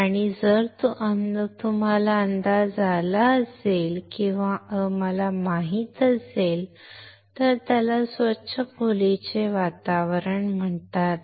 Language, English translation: Marathi, And if you have guessed or if you know, it is called a clean room environment